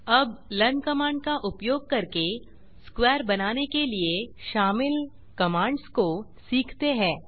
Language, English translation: Hindi, Now lets learn the commands involved to draw a square, using the learn command